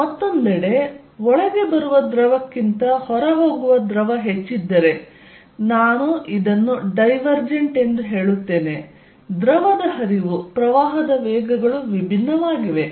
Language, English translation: Kannada, On the other hand if fluid going out is greater than fluid coming in I will say this divergent, the fluid flow, the velocities of the current divergent